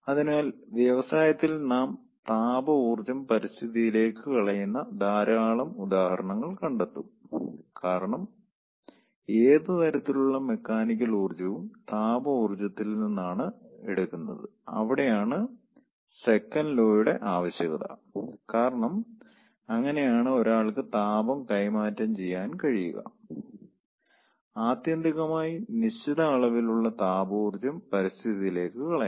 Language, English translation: Malayalam, so in industry we will find lot of examples where we are dumping the thermal energy to the environment because that is the demand of second law for deriving any kind of mechanical work, useful work, out of ah thermal energy, because that is how one can exchange heat and ultimately cert certain amount of ah thermal energy has to be dumped to the environment